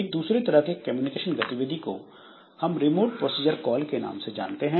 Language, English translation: Hindi, There is another type of communication or activity which is known as remote procedure call